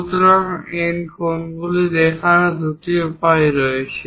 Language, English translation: Bengali, So, there are two ways to show these angles